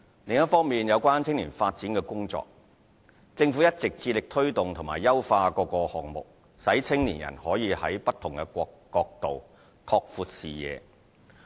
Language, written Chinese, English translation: Cantonese, 另一方面，有關青年發展的工作。政府一直致力推動及優化各項目，使青年人可在不同角度，拓闊視野。, As regards youth development the Government has always been committed to promoting and improving various projects on this front so that young people can broaden their horizons from different perspectives